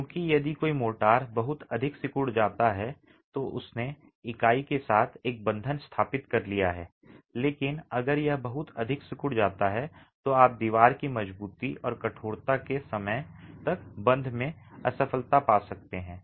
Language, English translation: Hindi, because if motor shrinks too much it's established a bond with the unit but if it shrinks too much you can have failure at the bond by the time the wall gains strength and hardens